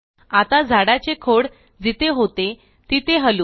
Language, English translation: Marathi, Lets move the tree trunk back to where it was